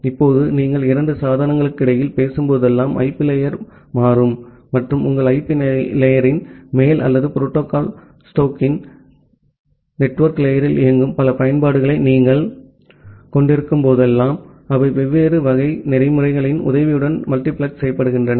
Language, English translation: Tamil, Now, whenever you are talking among two devices the IP layer gets changed and whenever you are having multiple applications which are running on top of your IP layer or the network layer of the protocol stack, they are multiplexed with the help of different type of protocol